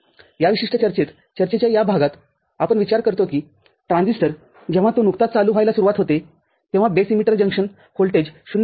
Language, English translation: Marathi, In this particular discussion, this part of the discussion, we consider that the transistor when it just begins to be on, the base emitter junction voltage is 0